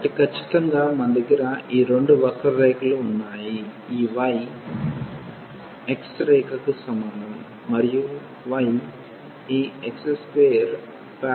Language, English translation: Telugu, So, precisely we have these two curves y is equal to x this line, and this y is equal to x square this parabola